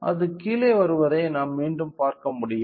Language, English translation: Tamil, So, here we can see again it is coming down